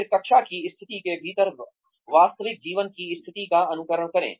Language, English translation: Hindi, Then, simulate the real life situation, within the classroom situation